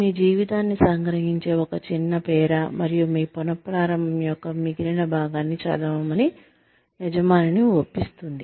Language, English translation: Telugu, It is a short paragraph, that summarizes your life, and persuades the employer, to read the rest of your resume